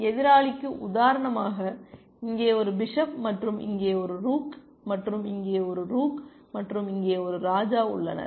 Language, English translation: Tamil, So, opponent has for example, a bishop here and a rook here, and a rook here, and a king here